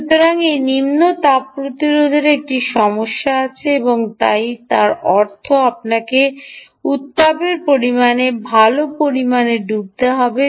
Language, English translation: Bengali, so this low thermal resistance has an issue and therefore, which means you will have to put good amount of ah